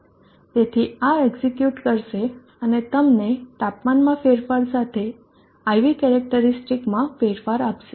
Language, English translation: Gujarati, So this would execute and give you the temperature variation in the IV characteristic